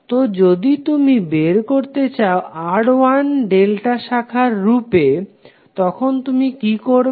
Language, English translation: Bengali, So if you want to find out the value of R1 in terms of delta branches, what you will do